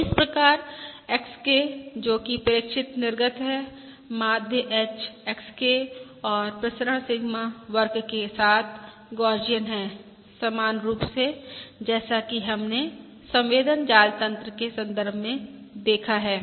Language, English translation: Hindi, So therefore, YK, that is, pie, observed output, is Gaussian with mean H, XK and variance Sigma square, similar to what we have seen in the context of sensor network And therefore I have the probability density function